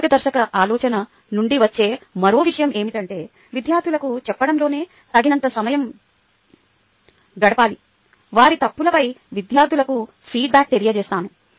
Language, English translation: Telugu, another point ah that comes out of this guiding thought is that i must spend sufficient time in telling the students, giving a feedback to the students on their mistakes